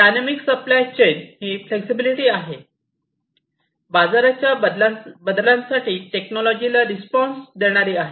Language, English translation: Marathi, So, this is flexibility is about having dynamic supply chains, which are responsive to technologies, responsive to market changes, and so on